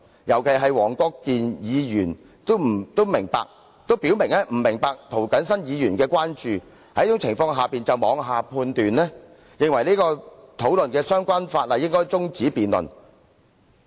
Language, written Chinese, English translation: Cantonese, 尤其是黃議員已表明他不明白涂謹申議員的關注事項，卻認為應該中止此項討論相關附屬法例的辯論，他這樣是妄下判斷。, In particular Mr WONG made it clear that he did not understand Mr James TOs concerns and yet he contended that the debate on the subsidiary legislation in question should be adjourned . This was a rash judgment on his part